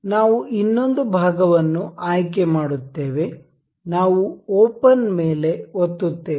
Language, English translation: Kannada, We will select another part, we will click open